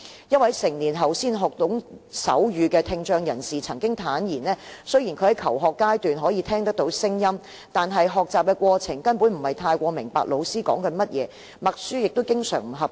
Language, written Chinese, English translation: Cantonese, 一位成年後才學懂手語的聽障人士曾經坦言，雖然他在求學階段可以聽到聲音，但在學習過程中根本不太明白老師在說甚麼，默書亦經常不及格。, A person with hearing impairment who acquired sign language after reaching adulthood has shared with me that it was very difficult for him to understand what the teachers were talking at school though he could still hear sounds at that time and he often failed at dictation